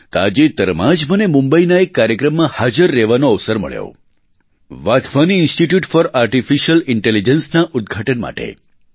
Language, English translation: Gujarati, Recently I got an opportunity to take part in a programme in Mumbai the inauguration of the Wadhwani Institute for Artificial Intelligence